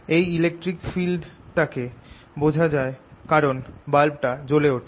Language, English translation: Bengali, you observe this electric field because the bulb lights up